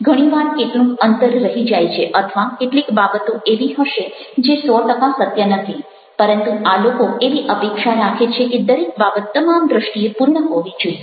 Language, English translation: Gujarati, many times there might be some, some gap, or there might be certain things which might not be hundred percent true, but these people always expect that everything should be perfect from all respects